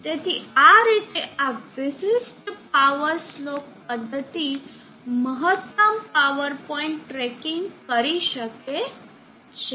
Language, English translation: Gujarati, So in this way this particular power slope method can do maximum power point tracking